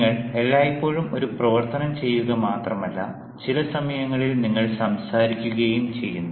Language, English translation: Malayalam, you are not only doing an activity all the time, but at times you are talking also